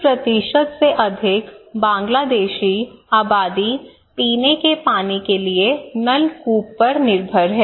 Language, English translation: Hindi, Now, more than 80% Bangladeshi population depends on tube well for drinking water, okay